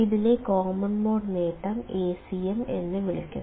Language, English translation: Malayalam, It is called as the common mode gain Acm